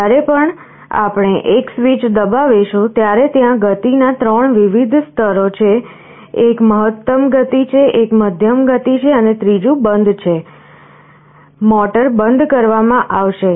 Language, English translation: Gujarati, Whenever we press one switch, there are 3 different levels of speed, one is the maximum speed, one is the medium speed and the other is off; motor will be turning off